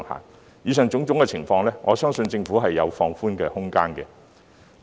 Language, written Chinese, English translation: Cantonese, 針對以上種種情況，我相信政府也是有放寬空間的。, In view of the aforementioned circumstances I believe the Government has room for relaxation